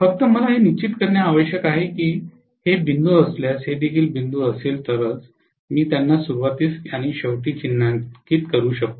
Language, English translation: Marathi, Only thing I have to make sure this that if this is dot, this is also dot then only I can mark them at the beginning and end